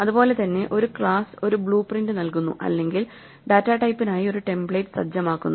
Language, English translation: Malayalam, In the same way a class sets up a blue print or a template for a data type